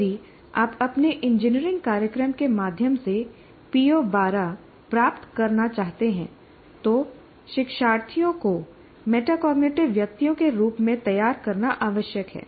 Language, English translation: Hindi, So if you want to attain PO 12 through your engineering program, it is necessary to prepare learners as metacognitive persons